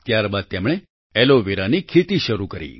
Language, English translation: Gujarati, After this they started cultivating aloe vera